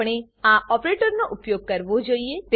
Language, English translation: Gujarati, We must use this operator